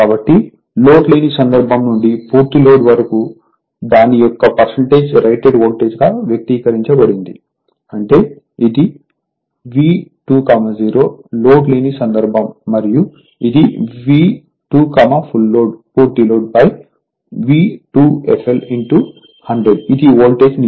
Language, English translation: Telugu, So, from no load to full load expressed as percentage of it is rated voltage right; that means, voltage regulation is this is your V 2 0 the low load and this is V 2 f l the full load divided by V 2 f l into 100, this is the voltage regulation